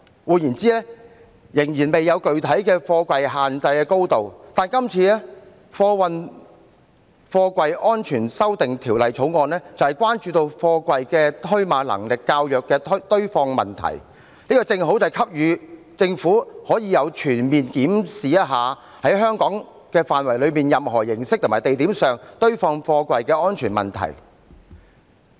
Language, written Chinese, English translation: Cantonese, "換言之，我們仍然未有具體的貨櫃限制高度，但今次《條例草案》就是關注到貨櫃的堆碼能力較弱的堆放問題，這正好給予政府機會，可以全面檢視在香港範圍內以任何形式及地點上堆放貨櫃的安全問題。, In other words we have not put in place a specified stacking height of containers . But the Bill concerns the stacking of the containers with limited stacking capacity it gives the Government an opportunity to comprehensively review the safety in the stacking of containers in different ways and in different places in Hong Kong